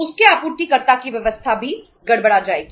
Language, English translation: Hindi, His supplier’s arrangements will also be disturbed